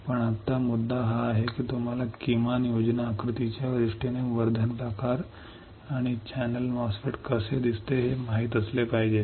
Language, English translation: Marathi, But right now the point is now you should know how the enhancement type and channel MOSFET looks like in terms of at least schematic diagram